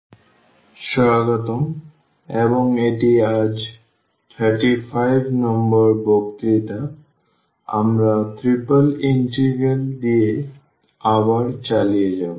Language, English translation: Bengali, So, welcome back and this is lecture number 35 today we will continue again with Triple Integral